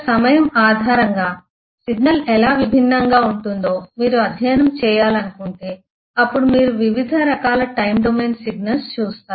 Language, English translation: Telugu, If you want to study how the signal will differ based on time, then you will possibly look at the different kinds of time domain signals